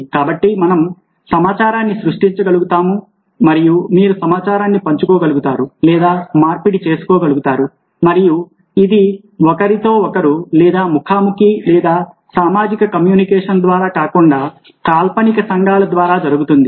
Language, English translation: Telugu, so we are able create information and then you're able to share or exchange information, and this happens not through one to one or face to face or social communication, but through virtual communities